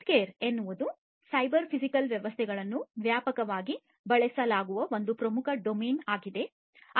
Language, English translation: Kannada, Healthcare is a very important domain where cyber physical systems are widely used